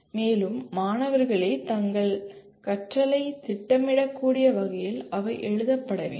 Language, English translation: Tamil, And they should be written in a way the student themselves should be able to plan their learning